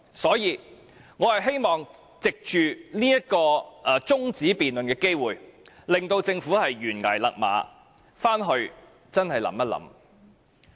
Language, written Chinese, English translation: Cantonese, 所以，我希望藉着這項中止待續議案辯論，請政府懸崖勒馬，回去好好想一想。, For this reason I wish to urge the Government to pull back and think carefully through this adjournment debate